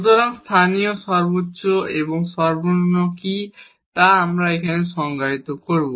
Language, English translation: Bengali, So, what is local maximum and minimum we will define here